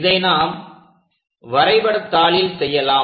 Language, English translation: Tamil, Let us do that on the sheet